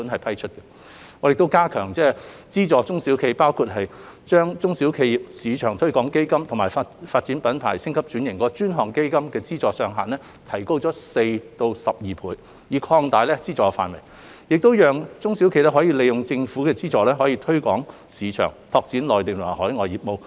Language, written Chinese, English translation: Cantonese, 我們亦加強資助中小企業，包括將"中小企業市場推廣基金"及"發展品牌、升級轉型及拓展內銷市場的專項基金"的資助上限分別提高4倍及12倍，以及擴大資助範圍，讓中小企業可以利用政府資助進行市場推廣及拓展內地及海外業務。, We have also strengthened financial support for SMEs including increasing the funding ceiling and expanding the funding scope of the SME Export Marketing Fund and the Dedicated Fund on Branding Upgrading and Domestic Sales by four times and 12 times respectively to allow SMEs to utilize Government funding to engage in market promotion and business expansion in the Mainland and overseas